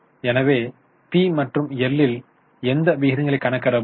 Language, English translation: Tamil, So, in P&L, what ratios can be calculated